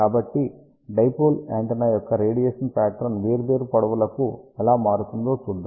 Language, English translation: Telugu, So, let us see how the radiation pattern of the dipole antenna varies for different length